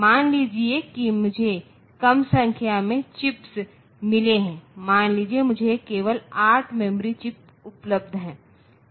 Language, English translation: Hindi, Suppose I have got say less number of chips, suppose I have got only say 8 such chips only 8 such memory chips are available